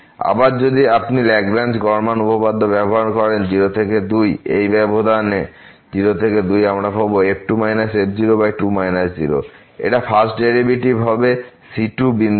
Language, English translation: Bengali, Again if you use the Lagrange mean value theorem in the interval to ; in the interval to we will get minus this over minus is equal to the first derivative at some point